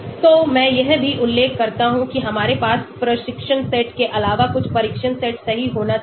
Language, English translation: Hindi, So I also mention that we should have some test set right apart from training set